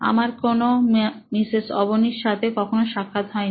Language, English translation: Bengali, I have not met any Mrs Avni